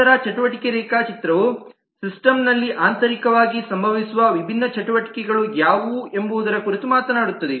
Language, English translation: Kannada, then activity diagram talks about what are the different activities that internally happens in the system, what are the operations of the system